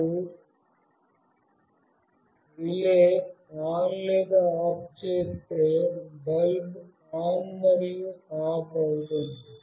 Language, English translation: Telugu, If you make relay ON or OFF, the bulb will be made ON and OFF